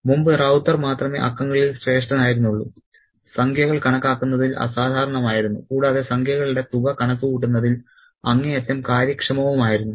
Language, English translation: Malayalam, Earlier, Rauta was the only one who was supreme in numbers, who was extraordinary in calculating numbers and who was extremely efficient in doing the sums